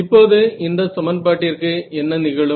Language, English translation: Tamil, Now so, what happens to this equation